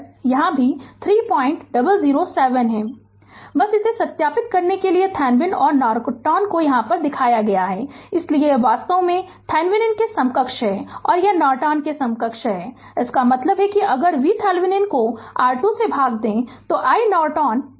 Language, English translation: Hindi, just to verify this the Thevenin and Norton you are shown in this thing so, this is actually Thevenin equivalent right and this is Norton equivalent; that means, if you divide V Thevenin by R Thevenin you will get i Norton that is 2